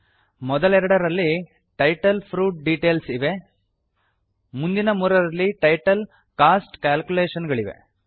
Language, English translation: Kannada, The first two have the title fruit details, the next three have the title cost calculations